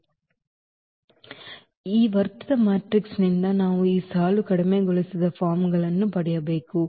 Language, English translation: Kannada, So, now out of this augmented matrix, we have to get this row reduced forms